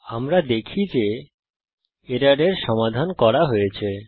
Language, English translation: Bengali, Save the file we see that the error is resolved